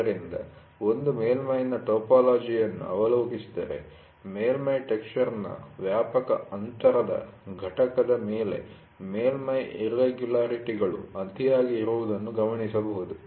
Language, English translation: Kannada, So, if one takes a look at the topology of a surface, one can notice it that surface irregularities are superimposed on a widely spaced component of surface texture called waviness, ok